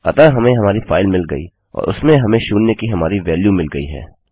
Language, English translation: Hindi, So, weve got our file and weve got our value of zero in it